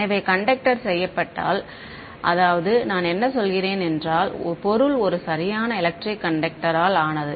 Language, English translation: Tamil, So, if the conductor is made I mean if the object is made out of a perfect electric conductor